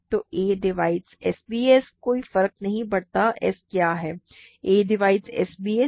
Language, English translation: Hindi, So, a divides s b c no matter what s is a divides s b c